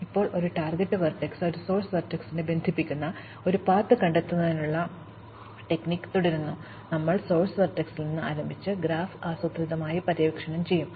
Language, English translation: Malayalam, Now, our strategy for finding a path connecting a source vertex and a target vertex, goes as follows, we would start at the source vertex and keep exploring the graph systematically